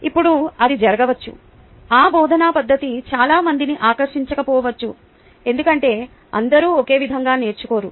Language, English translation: Telugu, now it can happen that that method of teaching may not appeal to many others because everyone doesnt learn in the same way